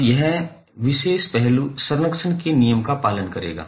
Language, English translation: Hindi, Now, this particular aspect will follow the law of conservation